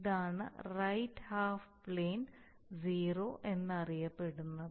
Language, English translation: Malayalam, That there is a what is known as a right half plane 0